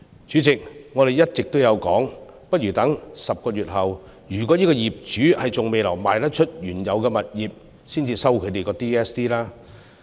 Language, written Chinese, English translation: Cantonese, 主席，我們一直建議不如待10個月後若業主還未售出原有物業，才收取 DSD。, President we have been suggesting that the payment of DSD be postponed by 10 months that is when homeowners have not sold their original properties